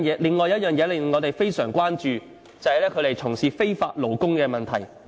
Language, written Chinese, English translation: Cantonese, 另一個令我們非常關注的，就是他們從事非法勞工的問題。, Another concern of us is that these claimants have become illegal workers